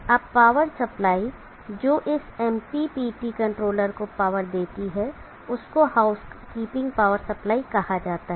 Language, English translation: Hindi, Now the power supply that powers of this MPPT controller is called the house keeping power supply from where should it draw the power